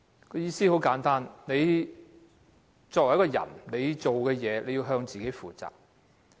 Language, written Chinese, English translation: Cantonese, 意思很簡單，自己所做的事情，要向自己負責。, The teaching is simple enough . A person should be accountable to himself for what he does